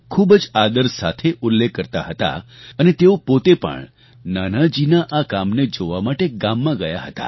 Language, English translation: Gujarati, He used to mention Nanaji's contribution with great respect and he even went to a village to see Nanaji's work there